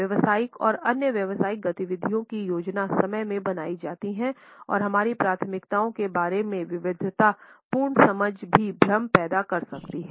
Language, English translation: Hindi, Business and other professional activities are planned within time and diverse understandings about our preferences can also cause confusion